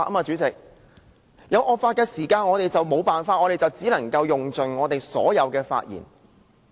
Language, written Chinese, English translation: Cantonese, 在面對惡法時，我們別無他法，只能盡用我們所有的發言時間。, In the face of such laws we have no alternative but to use all of our speaking time